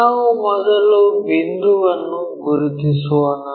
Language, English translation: Kannada, Let us first fix the point